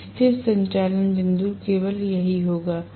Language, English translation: Hindi, So, the stable operating point will be only this